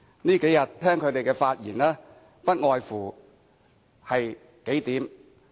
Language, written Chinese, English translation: Cantonese, 這數天以來，聽罷他們的發言，內容不外乎數點。, After listening to their speeches in these few days I find that their arguments are more or less the same